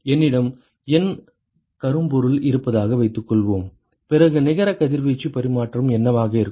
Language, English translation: Tamil, Suppose I have N blackbody then what will be the net radiation exchange